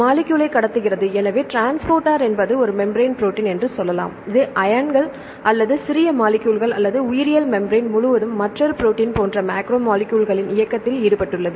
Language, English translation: Tamil, Transports molecules; so you can say the transporter is a membrane protein which involved in the movement of ions or smaller molecules or macromolecules such as another protein across the biological membrane